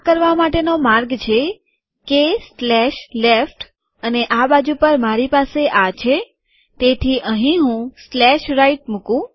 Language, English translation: Gujarati, The way to do this is – K slash left and on this side I have this, so here I put slash right